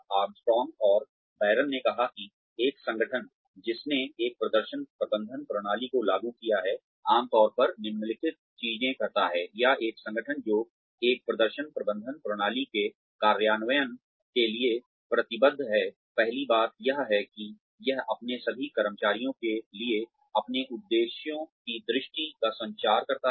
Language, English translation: Hindi, Armstrong and Baron said that, an organization, that has implemented a performance management system, typically does the following things, or an organization, that is committed to the implementation of a performance management system, usually does the following things